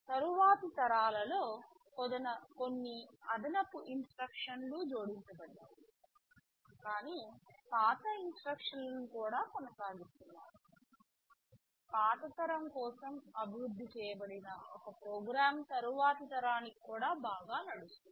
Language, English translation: Telugu, Of course in the later generations some additional instructions have been added, but the older instructions are also carried through, such that; a program which that was developed for a older generation would run pretty well for the next generation also right